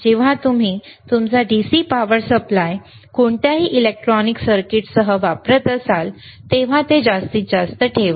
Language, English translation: Marathi, wWhen you are using your DC power supply with any electronic circuit, then keep it at maximum